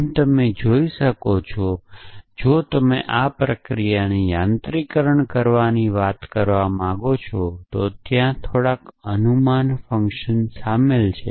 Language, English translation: Gujarati, As you can see if you want to talk about mechanizing this process, then there is a little bit of guess work involved there